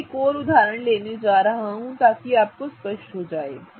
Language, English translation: Hindi, I am going to do one more example such that it becomes clear